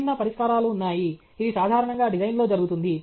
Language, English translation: Telugu, There are different solutions; that’s what normally happens in design